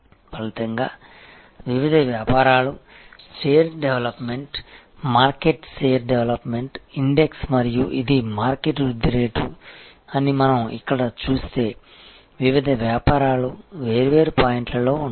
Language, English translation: Telugu, As a result, what happens is that different businesses, if you see here if we see that share development, market share development index and this is the market growth rate, then the different businesses will be at different points